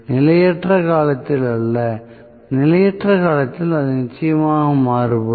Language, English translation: Tamil, Not during transient, during transient it will definitely vary